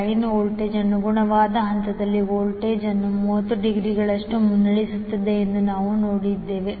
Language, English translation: Kannada, We saw that the line voltage leads the corresponding phase voltage by 30 degree